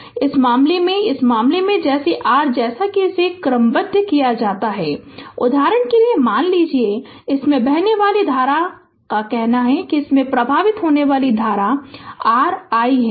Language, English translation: Hindi, So, in this case in this case your what as it is sorted suppose for example, current ah flowing through this say current flowing through this say it is your i right